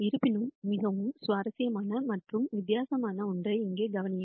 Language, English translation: Tamil, However, notice something very interesting and di erent here